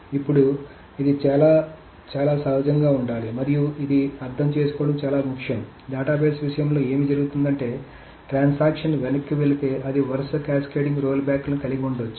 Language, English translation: Telugu, Now, this should be very, and this is very, very important to understand that what happens in the case of a database is that if a transaction rolls back, it may have a series of cascading rollbacks